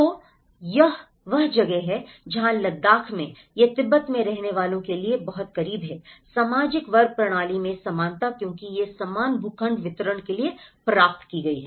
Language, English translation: Hindi, So, that is where, in Ladakh, it is very much close to what they used to live in Tibet, equality in social class system because it has been attained for equal plot distribution